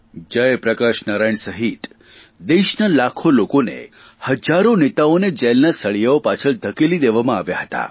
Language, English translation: Gujarati, Lakhs of people along with Jai Prakash Narain, thousands of leaders, many organisations were put behind bars